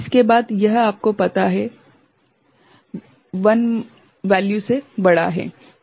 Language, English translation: Hindi, After, that it is you know, increased by 1 value